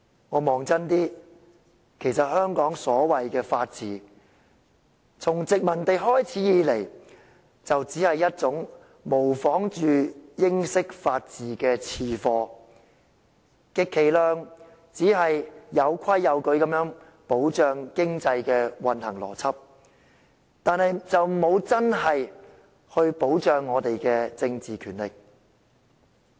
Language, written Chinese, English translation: Cantonese, 看清楚一點，香港所謂的法治，從殖民地開始以來，就只是一種模仿英式法治的次貨，充其量只是有規有矩地保障經濟運行的邏輯，但卻沒有真正保障我們的政治權力。, Taking a closer look the so - called rule of law in Hong Kong has only been a second - rate imitation of the British version since the inception of the colony which could at most be the logic underpinning the orderly protection of economic operations without the real political powers that afford us protection